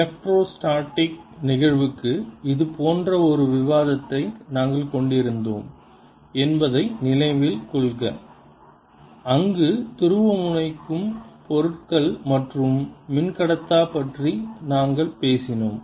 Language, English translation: Tamil, recall that we had we have had such a discussion for the electrostatic case, where we talked about polarizable materials and also dielectrics